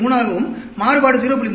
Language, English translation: Tamil, 3, variation could be 0